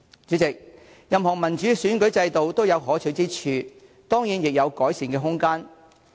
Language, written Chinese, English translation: Cantonese, 主席，任何民主選舉制度都有可取之處，當然亦有改善空間。, President every democratic electoral system has its merit . Of course there is room for improvement too